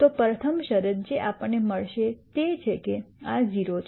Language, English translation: Gujarati, So, the rst condition that we will get is that this is 0